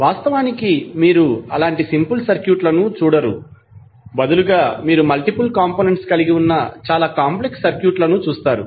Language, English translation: Telugu, But in reality you will not see simple circuits rather you will see lot of complex circuits having multiple components of the sources as well as wires